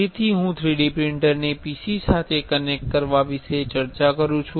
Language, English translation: Gujarati, So, I discuss with you about connecting a 3D printer to a PC